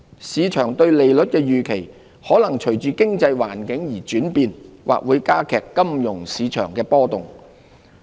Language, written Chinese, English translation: Cantonese, 市場對利率的預期，可能隨着經濟環境而轉變，或會加劇金融市場波動。, Market expectations of interest rates may vary with the economic environment resulting in greater fluctuations in the financial markets